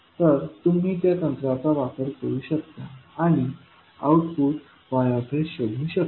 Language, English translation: Marathi, So, you can apply those techniques and find the output y s